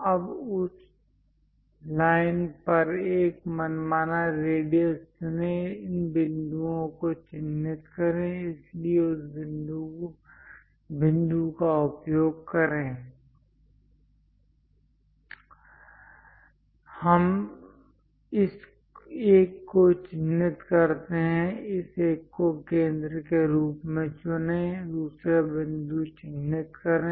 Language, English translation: Hindi, Now on that line, pick radius an arbitrary one; mark these points, so use this point; let us mark this one, pick this one as centre; mark second point